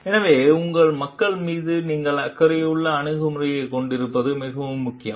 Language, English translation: Tamil, So, it is very important you do have a caring attitude for your people